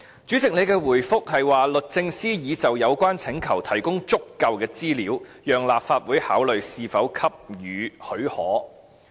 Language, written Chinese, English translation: Cantonese, 主席的回覆，是說律政司已就有關請求提供足夠資料，讓立法會考慮是否給予許可。, According to the Presidents reply the Department of Justice has provided this Council with sufficient information in relation to its request so as to facilitate the latters consideration of whether to grant special leave